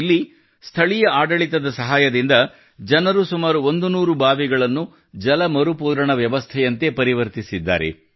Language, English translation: Kannada, Here, with the help of the administration, people have converted about a hundred wells into water recharge systems